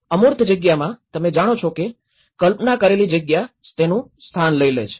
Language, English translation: Gujarati, In the abstract space, you know, that is where the conceived space takes over it